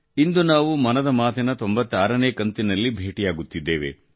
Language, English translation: Kannada, Today we are coming together for the ninetysixth 96 episode of 'Mann Ki Baat'